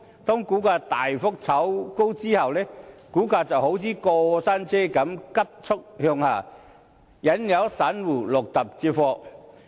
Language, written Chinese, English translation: Cantonese, 當股價大幅炒高後，股價便好像過山車般急速向下，引誘散戶入局接貨。, After being pushed up by speculation the share price will dive like a rollercoaster luring individual investors to fall into the scam and buy the shares